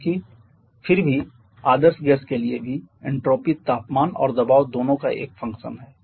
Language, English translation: Hindi, Because an even for ideal gaseous also entropy is a function of both temperature and pressure